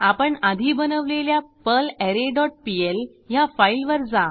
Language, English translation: Marathi, Go to the perlArray dot pl file, which we created earlier